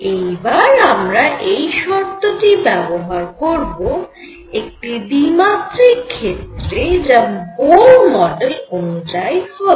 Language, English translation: Bengali, Let us now apply it to a 2 dimensional system which will correspond to Bohr model